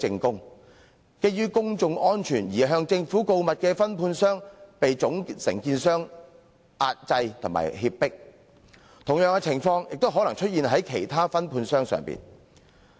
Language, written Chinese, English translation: Cantonese, 基於公眾安全而向政府告密的分判商，卻被總承建商壓制和脅迫，同樣情況亦可能出現在其他分判商身上。, The subcontractor who acted as a whistle - blower out of his concern for public safety was subjected to suppression and threats by the main contractor . This may also happen to other subcontractors